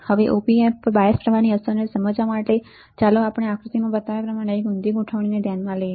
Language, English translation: Gujarati, Now to understand the effect of bias currents on the op amp let us consider inverting configuration as shown in the figure here right